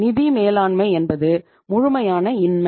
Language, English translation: Tamil, Financial management means complete, nothing